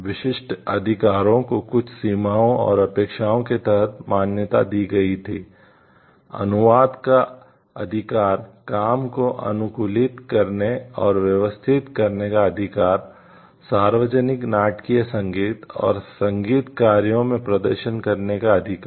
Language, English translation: Hindi, Exclusive rights recognized subject to certain limitations and expectations the right to translate, the right to make adaptations and arrangements of the work, the right to perform in public dramatic, dramatic musical and musical works